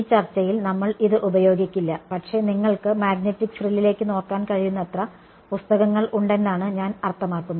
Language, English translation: Malayalam, We will not be using this in this discussion, but I mean there is enough literature all that you can look up magnetic frill